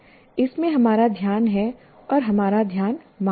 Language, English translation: Hindi, It has our focus and demands our attention